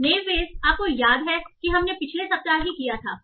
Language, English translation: Hindi, So, naive beys you remember, right, we did in the last week itself